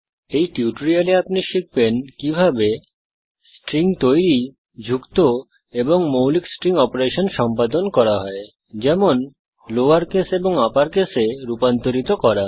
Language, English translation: Bengali, In this tutorial, you will learn how to create strings, add strings and perform basic string operations like converting to lower case and upper case